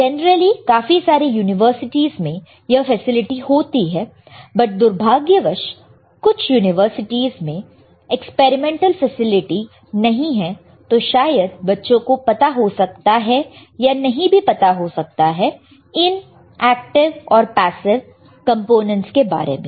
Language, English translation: Hindi, Generally, lot of universities they have the facility; however, unfortunately few of the universities we do not have the experimental facility, and that is why the students may or may not know what are the active and passive components